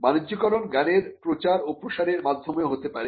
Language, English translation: Bengali, The commercialization can also happen through dissemination or diffusion of the knowledge